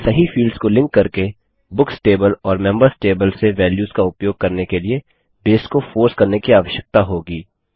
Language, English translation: Hindi, We will need to force Base to use values from the Books table and the Members table only, by linking the appropriate fields